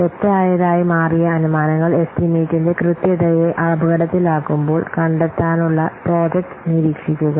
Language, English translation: Malayalam, Then monitor the project to detect when assumptions that turned out to be wrong jeopardize the accuracy of the estimate